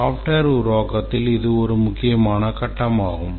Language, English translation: Tamil, This is a important phase in software development